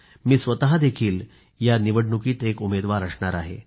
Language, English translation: Marathi, I myself will also be a candidate during this election